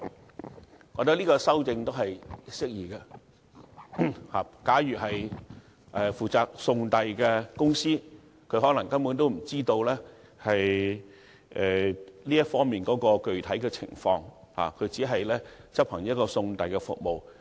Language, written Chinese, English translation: Cantonese, 我覺得這項修訂適宜。負責送遞的公司可能根本不知道售賣或供應酒類的具體情況，只是提供一項送遞服務。, I consider this amendment appropriate as the delivery company is only providing a delivery service it may be clueless about the particulars of the sale or supply of liquor